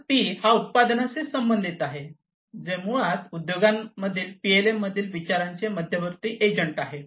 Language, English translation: Marathi, So, P corresponds to product which is basically the central agent of consideration in PLM in the industries